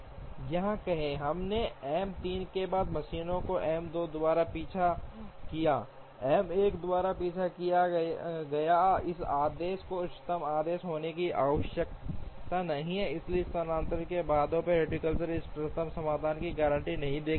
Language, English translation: Hindi, Say here, we took the machines in the order M 3 followed by M 2 followed by M 1, this order need not be the optimal order, therefore the shifting bottleneck heuristic does not guarantee the optimum solution